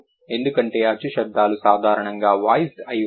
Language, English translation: Telugu, Because vowel sounds are generally voiced